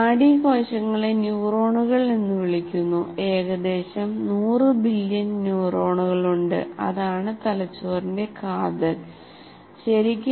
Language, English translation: Malayalam, Nerve cells are called neurons and represent about, there are about 100 billion neurons